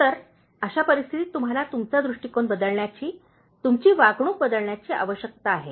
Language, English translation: Marathi, So, in that case you need to change your approach, change you, your behavior